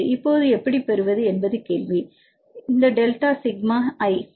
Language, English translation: Tamil, Now the question is how to get this delta sigma i, right